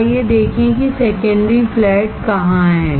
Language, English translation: Hindi, So, let us see, where is secondary flat